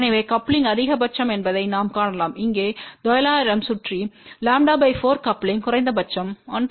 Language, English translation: Tamil, So, we can see that the coupling is maximum here around nine hundred which is lambda by 4 coupling is minimum around 1